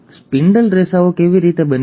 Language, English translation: Gujarati, How are the spindle fibres made